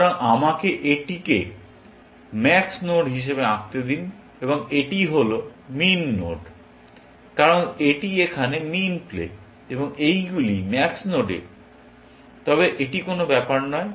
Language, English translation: Bengali, So, let me draw this as the max node, and this is the min node, because it is min play here, and these on max nodes, but it does not matter